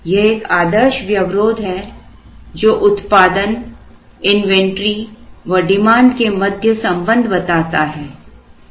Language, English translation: Hindi, This is a standard constraint that relates production inventory and demand